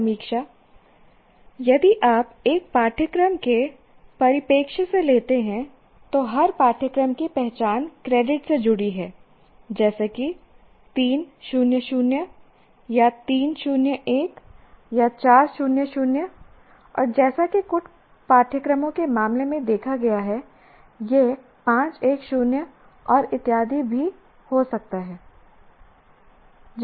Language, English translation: Hindi, Now, again, reviewing, if you take from a course perspective, every course is identified by the credits associated as either 3 is 0 is to to 0 or 3 is to 0 or 4 is to 0 and as we have seen in case of these courses it can also be 5 is to 1 is to 0 and so on